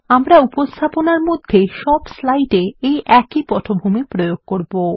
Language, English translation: Bengali, We shall also apply this background to all the slides in the presentation